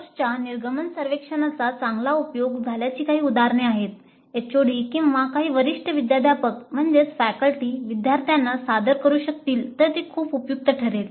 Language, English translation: Marathi, So, some typical instances of good use of course exit survey if the HOD or if some senior faculty can present it to the students it would be very helpful